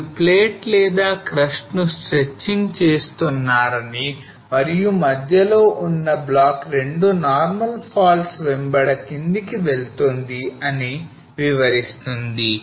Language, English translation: Telugu, So this cartoon explains that you are stretching the plate or the crust and the block in the center along 2 normal faults is moving down